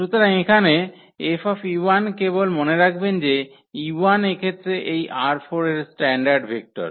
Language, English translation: Bengali, So, here F e 1, so e 1 just remember that e 1 is nothing but in this case these are the standard vectors from R 4